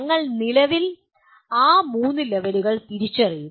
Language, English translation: Malayalam, We will presently identify those three levels